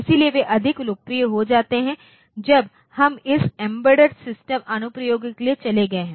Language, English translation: Hindi, So, they are very much they have become more popular when we have gone for this embedded system applications